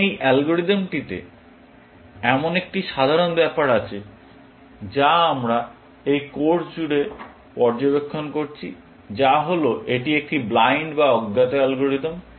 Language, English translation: Bengali, Now, this algorithm suffers from this common trade that we have been observing throughout this course, which is that it is a blind or uninformed algorithm